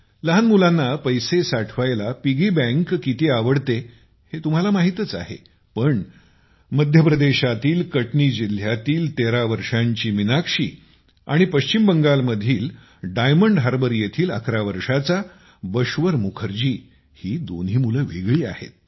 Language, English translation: Marathi, You know how much kids love piggy banks, but 13yearold Meenakshi from Katni district of MP and 11yearold Bashwar Mukherjee from Diamond Harbor in West Bengal are both different kids